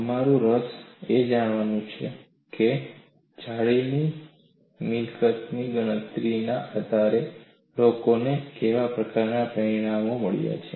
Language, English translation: Gujarati, Our interest is to see, what kind of result people have got based on lattice property calculation